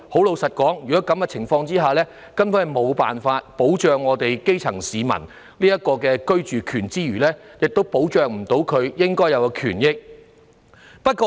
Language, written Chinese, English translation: Cantonese, 老實說，在這情況下，政府根本無法保障基層市民的居住權，亦無法捍衞他們的應有權益。, Frankly speaking under such circumstances the Government can hardly protect the right to adequate housing of grass - roots people and safeguard their entitled rights and interests